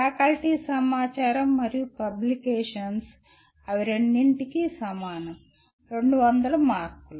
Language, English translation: Telugu, Faculty information and contributions, they are the same for both, 200 marks